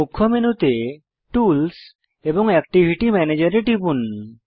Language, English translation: Bengali, From the Main menu, click Tools and Activity Manager